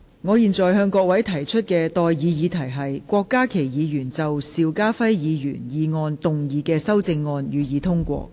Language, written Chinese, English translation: Cantonese, 我現在向各位提出的待議議題是：郭家麒議員就邵家輝議員議案動議的修正案，予以通過。, I now propose the question to you and that is That the amendment moved by Dr KWOK Ka - ki to Mr SHIU Ka - fais motion be passed